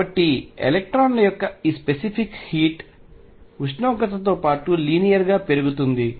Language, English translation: Telugu, So, this specific heat of the electrons increases linearly with temperature